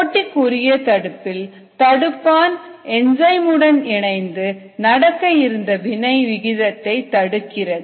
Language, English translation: Tamil, in the competitive inhibition, the inhibitor binds the enzyme and there by inhibits the rate of the reaction